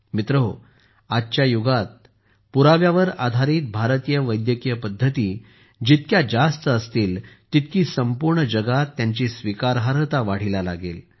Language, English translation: Marathi, Friends, In today's era, the more evidencebased Indian medical systems are, the more their acceptance will increase in the whole world